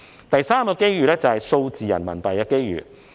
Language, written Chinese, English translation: Cantonese, 第三個機遇是數字人民幣。, The third opportunity is presented by digital RMB